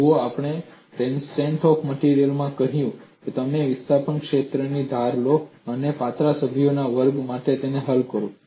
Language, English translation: Gujarati, See we said in strength of materials, you assume the displacement field and solve it for a class of slender members